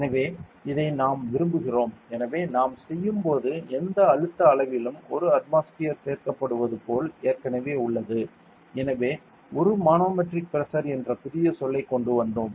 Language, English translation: Tamil, So, we like; so it is already like 1 atmosphere is added to any pressure measure when we do; so we came up with a new term called as a manometric pressure ok